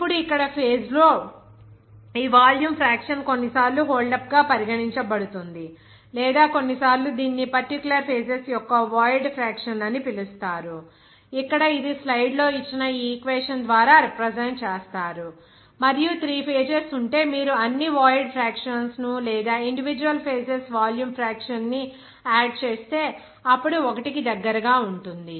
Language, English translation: Telugu, Now, here this volume fraction of phase, it is regarded as holdup or sometimes its called as void fraction of that particular phases, which is represented by here this equation given in the slide and you will see that if there are 3 phases, then if you sum it up all void fractions or volume fraction of individual phases, then you will get that will be close to 1